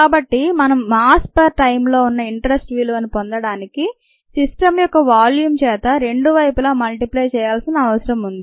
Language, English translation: Telugu, so to get the value of interest to us, which is mass per time, we need to multiply both sides by the volume of the system